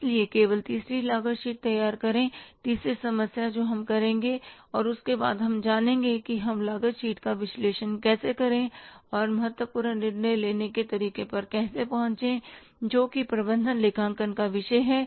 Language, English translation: Hindi, So we will prepare the third cost sheet, third problem we will do, and then after that we will learn about how to analyze the cost sheet and how to arrive at the important decision making, which is the subject matter of management accounting